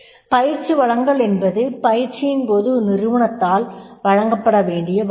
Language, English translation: Tamil, Training resources are the resources which are required to be provided at the time of the training